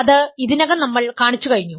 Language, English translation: Malayalam, So, that is what I have shown